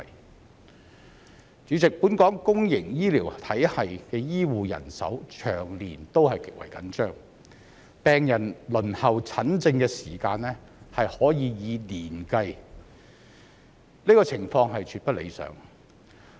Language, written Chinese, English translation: Cantonese, 代理主席，本港公營醫療體系的醫護人手長年極為緊張，病人輪候診症的時間可以以年計，這個情況絕不理想。, Deputy President the acute shortage of healthcare manpower in the public healthcare system of Hong Kong has been a perennial problem and a patient may need to spend years waiting for treatment . This situation is by no means desirable